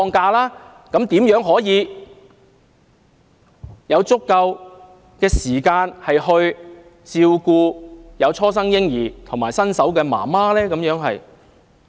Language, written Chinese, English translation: Cantonese, 這樣的話，男士如何能夠有足夠時間照顧初生嬰兒和新手母親呢？, As such how can male employees possibly have sufficient time to take care of their newborn babies and their wives who have just given birth?